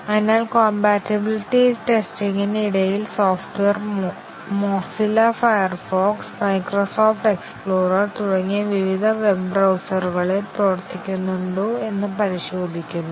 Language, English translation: Malayalam, So, during compatibility testing we check whether the software works with various web browsers such as Mozilla Firefox, the Microsoft Explorer and so on